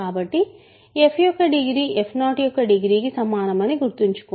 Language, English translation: Telugu, Now if degree f is 0 remember degree f will be equal to degree f 0 because c is a constant